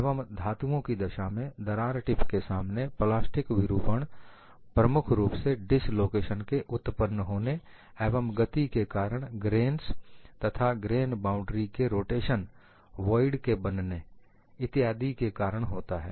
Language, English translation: Hindi, So, in the case of metals, the plastic deformation in the vicinity of the crack tip is caused mainly by motion and generation of dislocations, rotation of grains and grain boundaries, formation of voids, etcetera